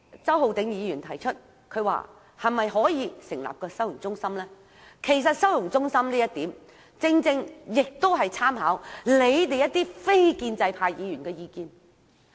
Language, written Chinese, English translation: Cantonese, 周浩鼎議員提出可否成立收容中心，其實這建議是參考了你們非建制派議員的意見的。, Mr Holden CHOW proposes the establishment of holding centres . In fact he comes up with this proposal after considering the views of non - establishment Members